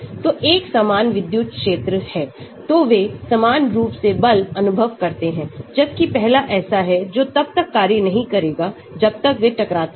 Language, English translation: Hindi, So, there is an uniform electric field so they uniformly feel a force, whereas the first one that is no force acting until they collide